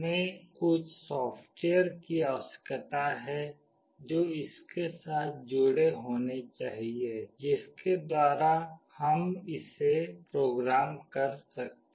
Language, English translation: Hindi, We need to have some software associated with it through which we can program it